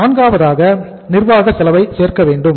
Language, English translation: Tamil, Number 4 uh add administrative cost